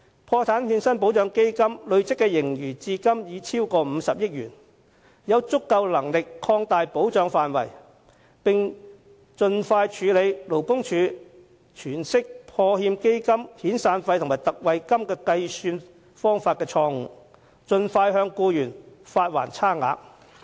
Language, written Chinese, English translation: Cantonese, 破產欠薪保障基金的累積盈餘至今已超過50億元，應有足夠能力擴大保障範圍，並盡快處理勞工處在計算破欠基金遣散費特惠金時的詮釋錯誤，盡快向受影響僱員發還差額。, Having accumulated a surplus of more than 5 billion PWIF should be sufficiently capable of expanding its protection coverage . Moreover the interpretation error made by the Labour Department LD in calculating the amount of ex gratia payment payable in relation to severance payment should be rectified expeditiously and the shortfalls repaid to the affected employees as soon as possible